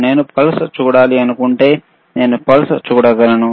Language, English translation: Telugu, If I want to see the pulse, then I can see the pulse, right